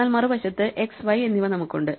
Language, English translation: Malayalam, So, we again pass it x and y